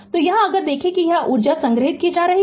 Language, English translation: Hindi, So, here if you see that it is energy being stored right